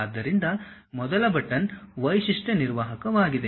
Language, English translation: Kannada, So, the first button is feature manager